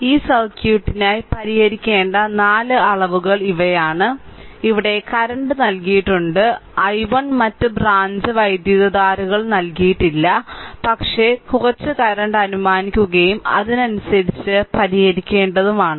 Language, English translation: Malayalam, This are the this are the 4 quantities that we have to solve for this circuit right and here current is given i 1 other branches currents are not given, but we have to we have to assume right some current and according to we have to solve